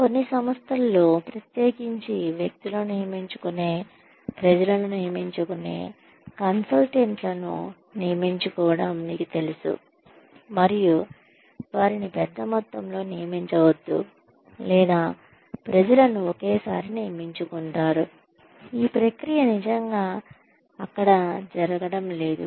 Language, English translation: Telugu, In some organizations, especially those, that recruit people, that hire people on, you know hire consultants, and do not hire them in bulk, or that hire people one at a time, this process is not really happening there